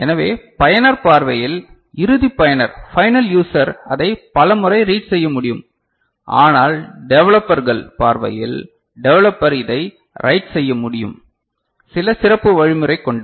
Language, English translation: Tamil, So, from the user point of view the final user end user will be able to read it many times ok, but the developers from developers point of view when it is required it will be able to, the developer will be able to write it by some special mechanism